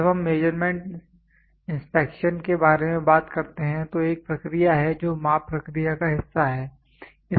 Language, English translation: Hindi, When we talk about measurements inspection is a process which is part of measurements process